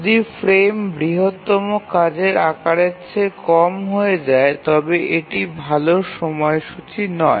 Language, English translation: Bengali, The frame if it becomes lower than the largest task size then that's not a good schedule